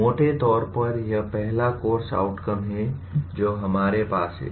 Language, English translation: Hindi, So broadly that is the one of the first course outcomes that we have